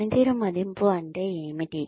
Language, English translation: Telugu, What is performance appraisal